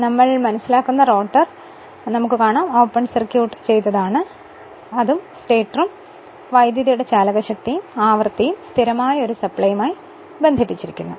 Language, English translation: Malayalam, First for our understanding you assume the rotor is open circuited and it and stator it is connected to a supply where voltage and frequency both are constant right